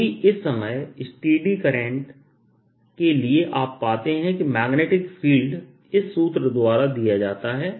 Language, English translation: Hindi, for the time being, for a steady state current, you find that the magnetic field is given by this formula the moment this happens